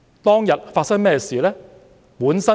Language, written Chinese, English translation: Cantonese, 當天發生甚麼事呢？, What happened that day?